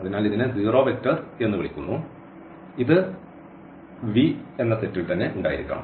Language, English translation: Malayalam, So, this is called the zero vector and this must be there in the set V